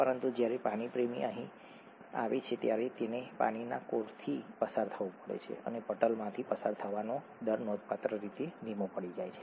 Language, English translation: Gujarati, But when water loving molecule comes here it needs to pass through a water hating core and the rates of pass through the membrane would be slowed down significantly